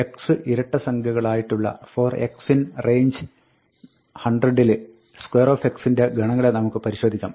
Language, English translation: Malayalam, Let us look at the set of square x, for x in range 100, such that x is even